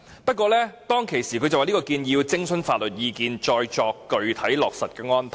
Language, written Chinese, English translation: Cantonese, 不過，當時他說這項建議要徵詢法律意見，再作具體落實的安排。, Nevertheless back then he said that legal advice needed to be sought for this proposal before putting in place some specific arrangements